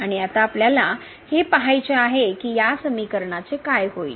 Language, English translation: Marathi, And now we want to see that what will happen to these expressions